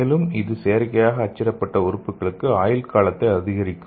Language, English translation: Tamil, And also it can increase the lifespan of the artificially printed organs okay